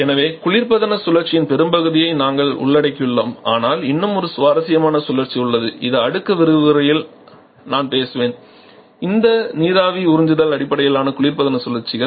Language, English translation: Tamil, So, we have covered the most part of our equation cycles but there is one very interesting cycle that is still left which I shall be talking in the next lecture which is vapour absorption based refrigeration cycles